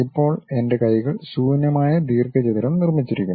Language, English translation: Malayalam, Now, my hands are also empty rectangle has been constructed